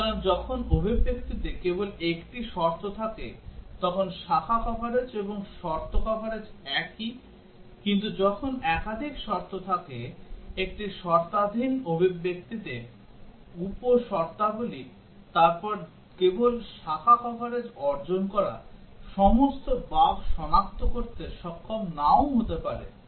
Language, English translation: Bengali, So, when there is only one condition in expression then branch coverage and condition coverage at the same, but when there are multiple conditions sub conditions in a conditional expression then just achieving branch coverage may not be able to detect all bugs